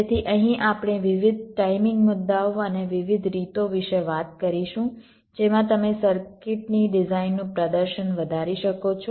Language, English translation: Gujarati, so here we shall be talking about the various timing issues and the different ways in which you can enhance the performance of a design of the circuit